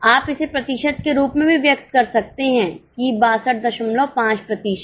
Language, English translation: Hindi, You can also express it as a percentage, that is 62